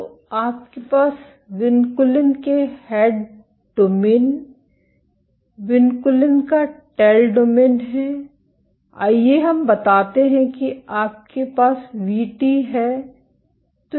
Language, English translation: Hindi, So, you have the tail domain of vinculin the head domain of vinculin, let us say Vt you have